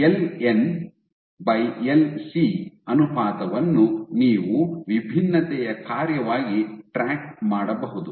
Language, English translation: Kannada, So, you can track the ratio of LN by LC as a function of differentiation ok